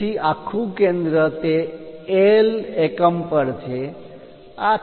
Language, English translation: Gujarati, So, this whole center is at that L units